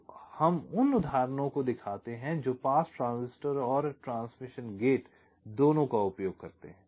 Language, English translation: Hindi, ok, so we show examples of latches that use both pass transistors and also transmission gates